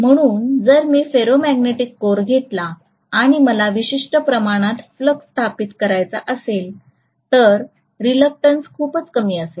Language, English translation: Marathi, So if I take a ferromagnetic core and I want to establish a particular amount of flux, the reluctance is very very low